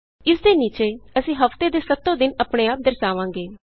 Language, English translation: Punjabi, Under this, we will display the seven days of the week automatically